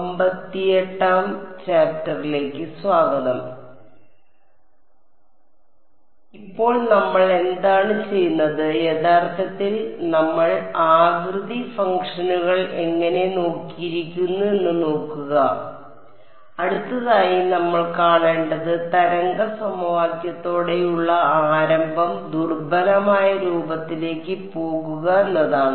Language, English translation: Malayalam, So now what we will do is we look at how do we actually we have looked at the shape functions, the next thing we have to see is the start with the wave equation go to the weak form that is the strategy of FEM right